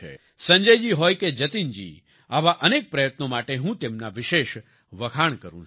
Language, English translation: Gujarati, Be it Sanjay ji or Jatin ji, I especially appreciate them for their myriad such efforts